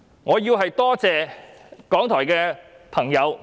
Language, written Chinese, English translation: Cantonese, 我要多謝港台的朋友。, I must say Thank you to the RTHK staff